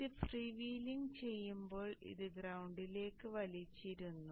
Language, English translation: Malayalam, So when this is freewheeling this is pulled to the ground